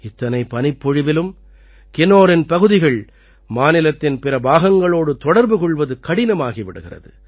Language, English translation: Tamil, With this much snowfall, Kinnaur's connectivity with the rest of the state becomes very difficult for weeks